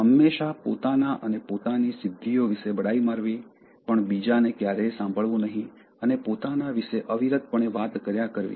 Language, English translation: Gujarati, Always boasting about oneself and one’s achievements but never listening to others and talking repeatedly endlessly about oneself